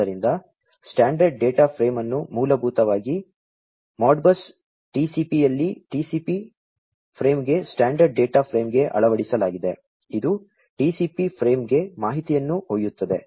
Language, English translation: Kannada, So, the standard data frame is basically embedded in Modbus TCP into a TCP frame into a TCP frame a standard data frame, which carries the information is embedded into it into the TCP frame